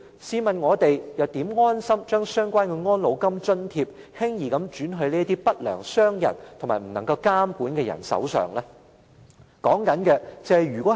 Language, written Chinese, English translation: Cantonese, 試問我們又怎能安心把相關的安老金津貼，輕易轉到不良商人及無法監管的人手上呢？, How can we easily hand over the old age allowances without worries to the unscrupulous traders who are not within our scope of regulation?